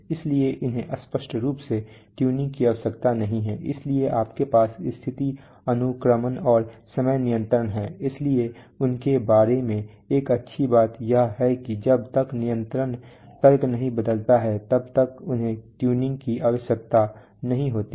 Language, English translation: Hindi, So they obviously do not need tuning and they are, so you have status sequencing and timing control, so one good thing about them is that unless the control logic changes they do not need tuning